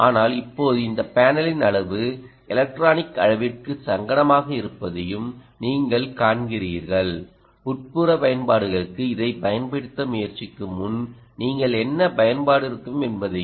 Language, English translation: Tamil, but you see now the size of this panel is uncomfortable to the size of the electronic and what application it will have you have to really imagine before you ah, try to deployed it for indoor applications